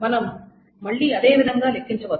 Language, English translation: Telugu, We can compute it in the following manner